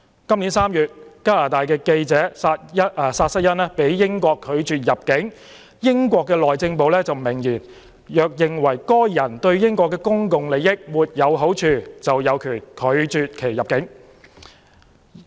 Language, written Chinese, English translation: Cantonese, 今年3月，加拿大記者薩瑟恩被英國拒絕入境，英國內政部明言，若認為該人對英國的公共利益沒有好處，就有權拒其入境。, In March this year Canadian journalist Lauren SOUTHERN was denied entry by the United Kingdom . The Home Office of the United Kingdom made it clear that if a person was believed to be prejudicial to the public interests of the United Kingdom it would exercise its power to deny his or her entry